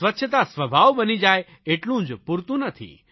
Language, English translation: Gujarati, Imbibing cleanliness as a nature is not enough